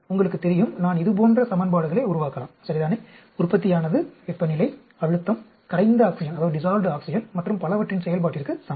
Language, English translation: Tamil, You know, I may develop equations like this, right, the yield is equal to function of temperature, pressure, dissolved oxygen and so on